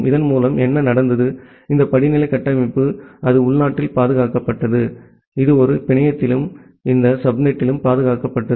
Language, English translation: Tamil, With this, what happened that, this hierarchical architecture it was preserved locally, it was preserved within a network and in this subnet